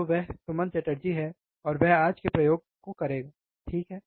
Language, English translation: Hindi, So, he is Suman Chatterjee, and he will be performing the experiments today, alright